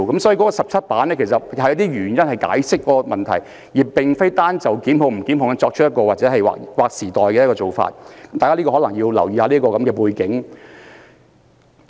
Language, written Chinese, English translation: Cantonese, 所以，該17頁的聲明是用以解釋此問題，而並非單單回應是否作出檢控的事宜，大家須留意此一背景。, Therefore apart from the 17 - page statement served to explain the issues involved instead of merely giving a response to the question of whether prosecution should be instituted we should take into account the background concerned